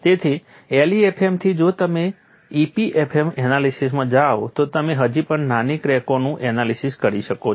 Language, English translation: Gujarati, So, from LEFM if you go to EPFM analysis, you could analyze still smaller cracks, but it does not start from 0